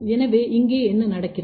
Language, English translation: Tamil, So, what happens here